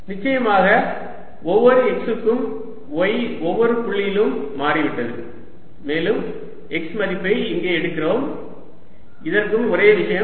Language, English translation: Tamil, right, for each x, y has definitely changed at each point and we are taking the x value to be out here